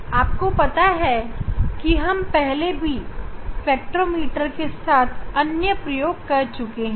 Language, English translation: Hindi, you know we have demonstrated many experiments using the spectrometer